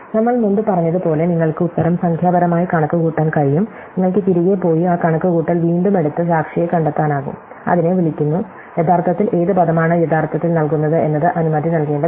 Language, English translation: Malayalam, So, as we say before provided you can compute the answer numerically, you can go back and retrace that computation and figure out the witness and it is called and which word actually which subsequence actually gives has to be sanction